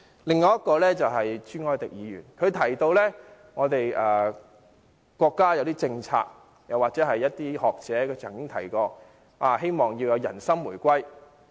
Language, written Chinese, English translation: Cantonese, 另外，朱凱廸議員提到國家有一些政策，又或有些學者曾提到，希望人心回歸。, Separately Mr CHU Hoi - dick said that the country has some policies on or some scholars have advocated the reunification of peoples hearts